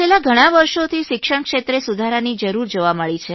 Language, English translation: Gujarati, For the last so many years, a strong need for reforms has been felt in the education sector